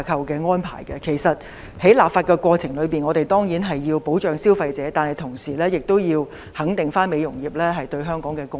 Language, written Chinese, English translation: Cantonese, 我們在立法過程中當然需要保障消費者，但同時亦要肯定美容業對香港的貢獻。, In the legislative process while we need to protect the consumers we also need to recognize the contribution the beauty industry has made to Hong Kong